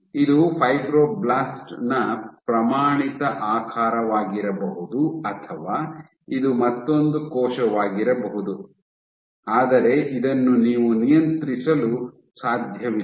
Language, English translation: Kannada, So, this might be a standard shape of a fibroblast or this might be another cell so, but this you cannot control